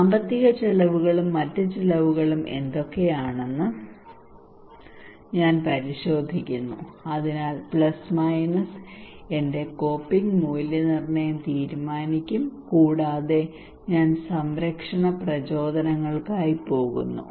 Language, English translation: Malayalam, Then I also check what are the financial costs and other costs so plus/minus would decide my coping appraisal and I go for protection motivations